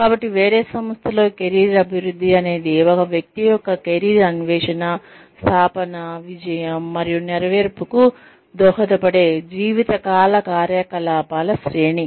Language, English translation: Telugu, So, in a different organization, career development is the lifelong series of activities, that contribute to a person's career exploration, establishment, success and fulfilment